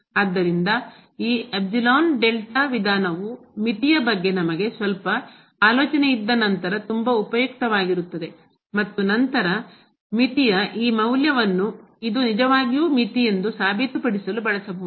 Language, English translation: Kannada, So, this epsilon delta approach will be very useful once we have some idea about the limit and then, this value of the limit can be used to prove that this is indeed the limit